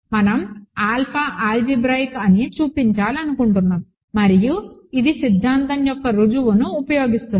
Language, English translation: Telugu, We want to show that alpha is algebraic and this uses the proof of the theorem